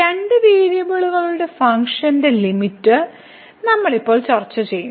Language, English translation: Malayalam, So, Limit of Functions of Two Variables, we will discuss now